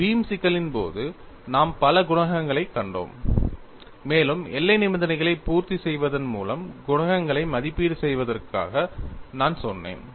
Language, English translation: Tamil, In the case of a beam problem, we saw several coefficients, and I said, you evaluate the coefficients by satisfying the boundary conditions